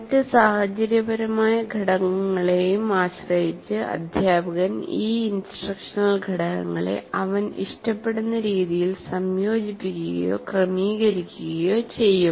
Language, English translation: Malayalam, So depending on the other situational factors as well, the teacher will combine or sequence these instructional components in the way he prefers